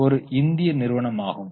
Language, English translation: Tamil, Again it is an Indian company